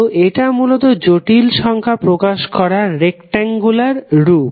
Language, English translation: Bengali, So, this is basically the rectangular form of the complex number z